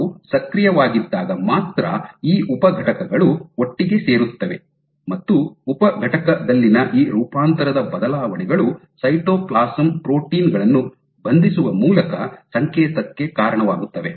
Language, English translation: Kannada, So, only these subunit is come together when in when they are active, and this conformational changes in the subunit actually lead to signaling through binding of cytoplasm proteins